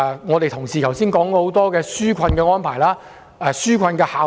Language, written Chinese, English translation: Cantonese, 有同事剛才提出多項紓困安排及其效用。, Some Honourable colleagues brought up a number of relief arrangements and their effects just now